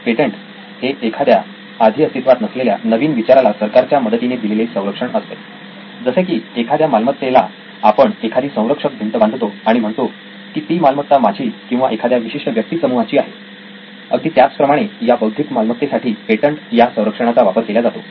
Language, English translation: Marathi, Patent is a government protection of an idea similar to a real estate where you can draw an outline and say this belongs to me or a group of people, same way this is for the intellectual property, intellectual estate